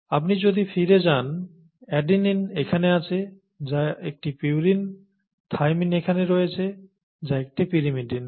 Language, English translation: Bengali, Adenine, thymine; if you go back, adenine is here which is a purine, thymine is here which is a pyrimidine, okay